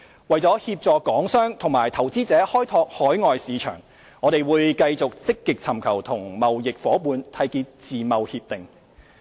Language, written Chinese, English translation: Cantonese, 為協助港商及投資者開拓海外市場，我們會繼續積極尋求與貿易夥伴締結自由貿易協定。, To assist Hong Kong traders and investors to expand their overseas markets we will continue our efforts in actively pursuing free trade agreements FTAs